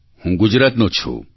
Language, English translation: Gujarati, I am from Gujarat